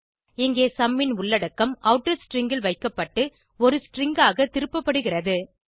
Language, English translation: Tamil, Here the content of sum is returned as a string and is substituted into the outer string